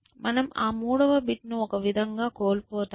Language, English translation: Telugu, So, you have lost that 3 rd bit in some sense